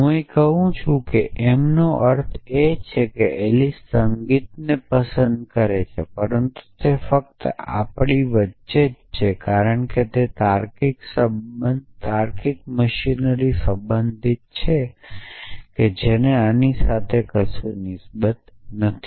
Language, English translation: Gujarati, m means that Alice likes music but that is only between us as for as the logical machinery is concerned it is not concern with this at all